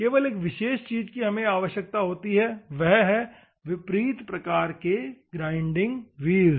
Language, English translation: Hindi, The only thing is that we require converse shape grinding wheels